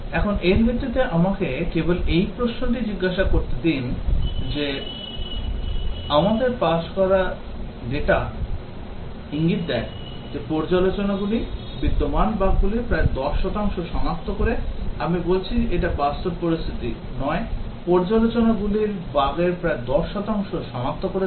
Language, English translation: Bengali, Now, based on that let me just ask this question that our passed data indicates that reviews detect about 10 percent of the existing bugs, I mean this not real situation, just an example that reviews detected about 10 percent of the bugs